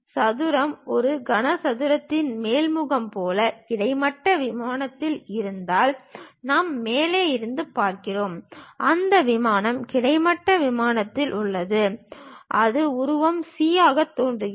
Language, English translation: Tamil, If the square lies in the horizontal plane, like the top face of a cube; we are looking from the top and that plane is on the horizontal plane, it will appear as figure c